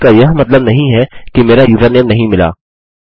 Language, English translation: Hindi, This doesnt mean that my username hasnt been found